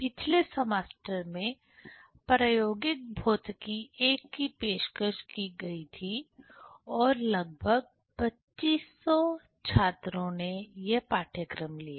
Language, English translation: Hindi, The experimental physics I was offered in last semester and nearly 2500 students have taken this course